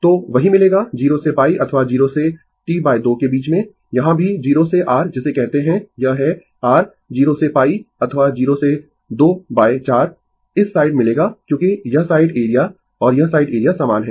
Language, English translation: Hindi, So, same you will get in between 0 to pi or 0 to T by 2 here also 0 to your what you call this is your 0 to pi by 2 or 0 to 2 by 4, this side will get because this this side area and this side area it is same